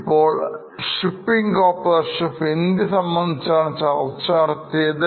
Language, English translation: Malayalam, Now this is for Shipping Corporation of India, the company which we were discussing